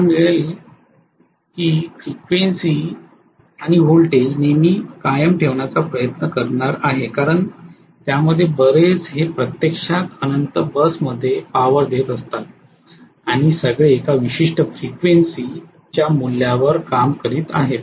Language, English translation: Marathi, I will try to maintained the frequency and voltage normally because so many of them are actually poring their power into the infinite bus and all of them are working at a particular value of voltage and frequency